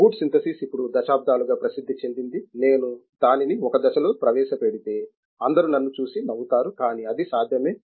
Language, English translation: Telugu, Boot synthesis is known for decades now one, if I were to introduced it in one step everybody will laugh at me, but it is possible